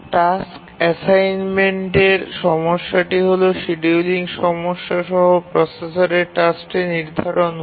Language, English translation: Bengali, The scheduling problem is how to schedule the task on the processor to which it has been assigned